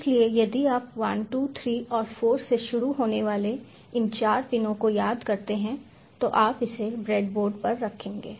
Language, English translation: Hindi, so if you recall these four pins, starting from one, two, three and four, you place it on the breadboard